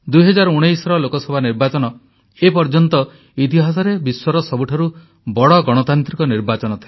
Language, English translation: Odia, The 2019 Lok Sabha Election in history by far, was the largest democratic Election ever held in the world